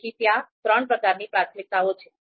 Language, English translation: Gujarati, So these three types of priorities are there